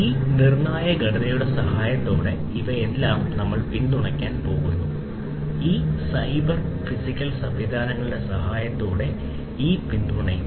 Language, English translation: Malayalam, So, these are going to be all supported with the help of these critical structure will be supported with the help of these cyber physical systems